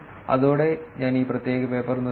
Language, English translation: Malayalam, With that, I will stop this particular paper